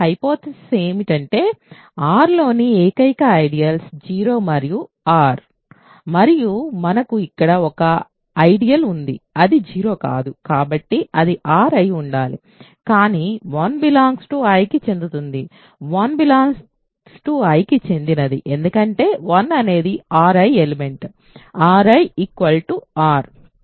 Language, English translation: Telugu, Hypothesis is that the only ideals in R are 0 and R and we have here an ideal I which is not 0, so it must be R, but then 1 belongs to I, 1 belongs to I because 1 is an element of R I is equal to R